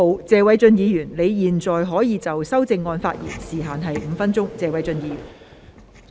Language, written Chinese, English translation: Cantonese, 謝偉俊議員，你現在可以就修正案發言，時限為5分鐘。, Mr Paul TSE you may now speak on the amendment . The time limit is five minutes